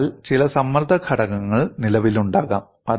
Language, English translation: Malayalam, So, some stress component may exist